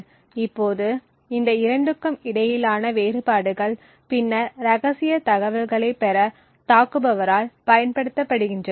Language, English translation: Tamil, Now the differences between these 2 are then used by the attacker to gain secret information